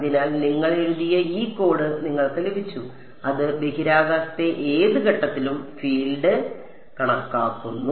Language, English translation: Malayalam, So, you have got this code you have written which calculates the field at any point in space